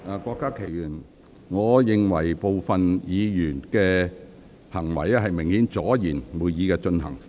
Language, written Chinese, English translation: Cantonese, 郭家麒議員，我認為部分議員的行為明顯是為了阻延會議進行。, Dr KWOK Ka - ki I think the behaviours of some Members are obviously intended to cause delays to the proceedings of the meeting